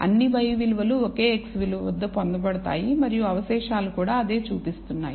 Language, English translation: Telugu, All the y values are obtained at a single x value and that is what the residuals are also showing